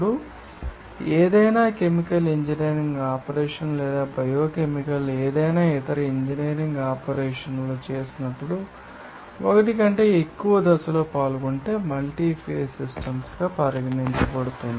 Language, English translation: Telugu, Now, when any chemical engineering operation or biochemical any other engineering operations, there are if more than one phase will be involving, then the system will be you know, regarded as the multi phase systems